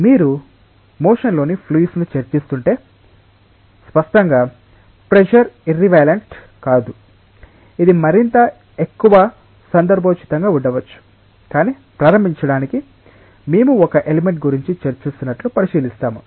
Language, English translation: Telugu, If you are discussing about fluids in motion; obviously, pressure does not get irrelevant, it may even get more and more relevant, but to begin with we will consider that we are discussing about say an element